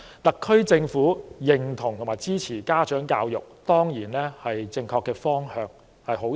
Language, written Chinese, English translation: Cantonese, 特區政府認同和支持家長教育，當然是正確的方向，這是好事。, It is certainly a correct and good direction that the SAR Government recognizes and supports parent education